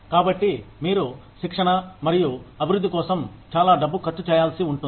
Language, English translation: Telugu, So, you may need to spend a lot of money, on training and development